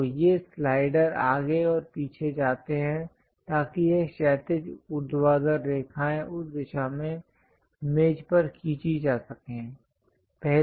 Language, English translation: Hindi, So, these slider goes front and back, so that this horizontal, vertical lines can be drawn in that direction on the table